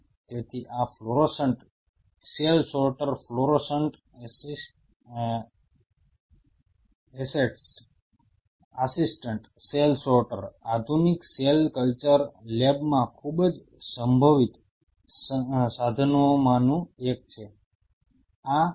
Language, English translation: Gujarati, So, these fluorescent cell sorter fluorescent assets assisted cell sorter are one of the very potential tools in the modern cell culture labs